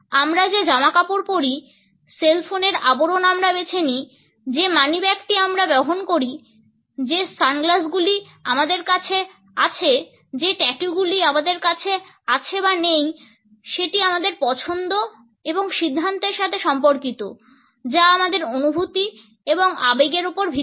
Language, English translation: Bengali, The clothes we wear, the cell phone cover we choose, the wallet which we carry, the sunglasses which we have, the tattoos which we may or may not have communicate our choices as well as decisions which in turn are based on our feelings and emotions